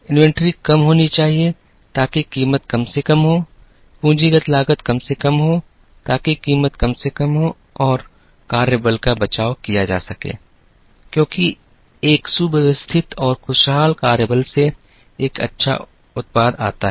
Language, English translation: Hindi, The inventories have to be low so that, the price can be minimized, capital cost have to be minimum so that, the price can be minimized and work force have to be contended because from a contended and happy work force, comes a good product